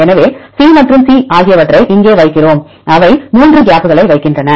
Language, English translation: Tamil, So, C and C we put it here and they put 3 gaps